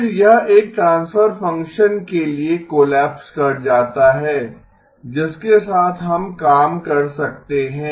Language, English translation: Hindi, Then, this collapses to a transfer function which we can work with